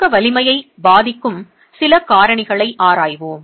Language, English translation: Tamil, Let's examine a few factors that affect the compressive strength